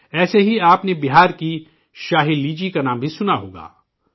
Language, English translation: Urdu, Similarly, you must have also heard the name of the Shahi Litchi of Bihar